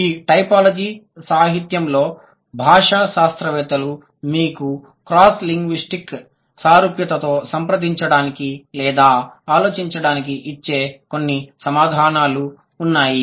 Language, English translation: Telugu, So, these are a few answers that linguists would give you to approach or to think about the cross linguistic similarity in typology literature